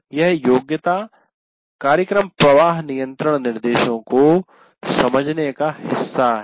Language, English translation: Hindi, This competency is part of understand program flow control instructions